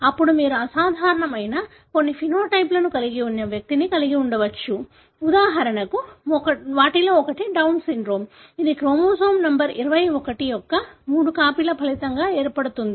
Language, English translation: Telugu, Then you may have an individual who may have some phenotype, which is abnormal; example, one of them being Down syndrome which is resulting from three copies of chromosome number 21